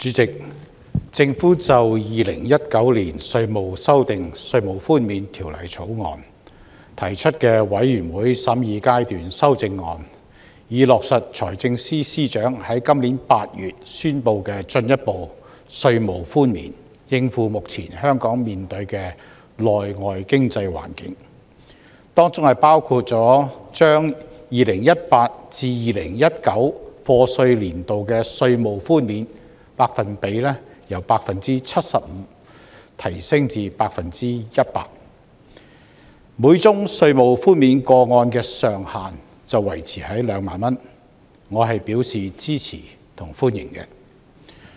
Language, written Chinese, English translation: Cantonese, 主席，政府就《2019年稅務條例草案》提出的全體委員會審議階段修正案，以落實財政司司長於今年8月中宣布的進一步稅務寬免，應付目前香港面對的內外經濟環境，當中包括將 2018-2019 課稅年度的稅務寬免百分比由 75% 提升至 100%， 每宗稅務寬免個案的上限維持在2萬元，我表示支持和歡迎。, Chairman in order to cope with the external and local economic environment facing Hong Kong the Government will move Committee stage amendments to the Inland Revenue Amendment Bill 2019 to implement the enhanced tax reduction announced by the Financial Secretary in August . One of the measures is to increase the tax reduction percentage for the year of assessment 2018 - 2019 from 75 % to 100 % while retaining the ceiling of 20,000 . I support and welcome this measure